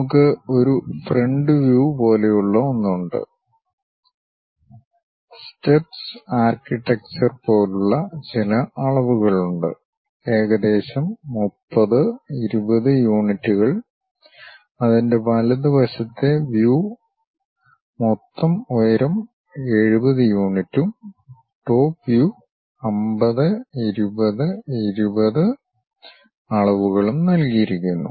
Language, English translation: Malayalam, We have something like a front view, having certain dimensions like steps kind of architecture, some 30, 20 units and its right side view is given with total height 70 units and the top view is given with dimensions 50, 20 and 20